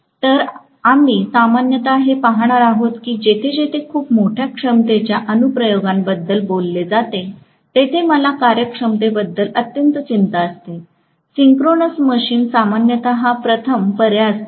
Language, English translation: Marathi, So, we are going to generally see that wherever very large capacity applications are talked about, where I am extremely concerned about the efficiency, synchronous machines generally are the first choices